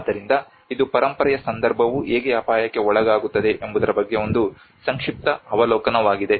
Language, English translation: Kannada, So this is a very brief overview of how the heritage context comes under risk